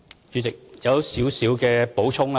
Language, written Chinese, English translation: Cantonese, 主席，我有少許補充。, President perhaps I can add a brief point